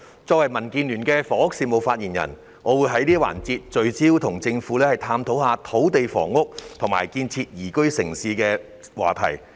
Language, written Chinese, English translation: Cantonese, 作為民主建港協進聯盟的房屋事務發言人，我會在這個環節，聚焦與政府探討土地房屋及建設宜居城市的話題。, As the spokesperson of the Democratic Alliance for the Betterment and Progress of Hong Kong DAB on housing affairs I will focus on exploring with the Government the topic of land housing and building a liveable city in this session